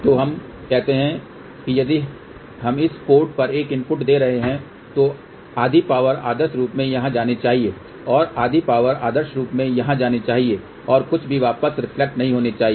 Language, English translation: Hindi, So, let us say if we are giving a input at this port here, then the half power should go here ideally and half power should go over here ideally and nothing should reflect back